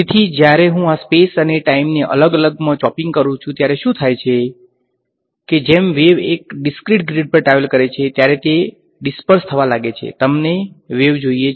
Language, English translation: Gujarati, So, when I do this chopping up off space and time into discrete things what happens is that, as a wave travels on a discrete grid it begins to disperse; you want the wave